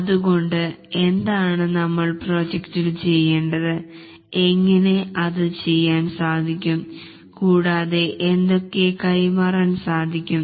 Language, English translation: Malayalam, So, what we want to do in the project, how it will be done and what will be the deliverable